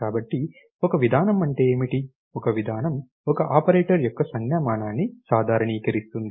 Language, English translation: Telugu, So, what is a procedure do, a procedure kind of generalizes the notation of an operator